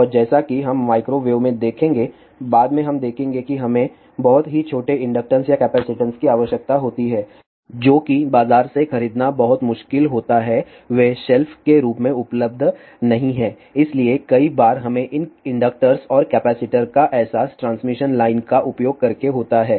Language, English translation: Hindi, And as we will see at microwave we will see later on that we require very small inductances or capacitances which are very difficult to purchase from the market they are not available as of the shelf, so many a times we realize these inductors and capacitors using these transmission line